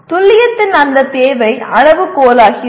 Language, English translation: Tamil, That requirement of accuracy becomes the criterion